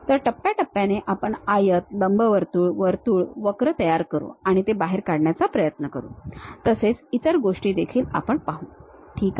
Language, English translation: Marathi, So, step by step we will construct rectangle, ellipse, circle, curves, and try to extrude it and so on other things we will see, ok